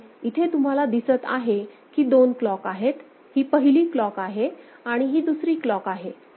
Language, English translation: Marathi, And you can see there are 2 clocks, this is one clock and this is another clock